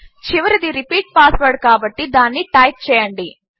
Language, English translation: Telugu, The last one is repeat password so type that